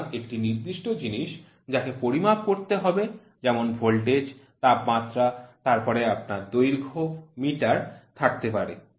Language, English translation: Bengali, So, a particular quantity subjected to measurement is called as voltage, temperature then you have length meter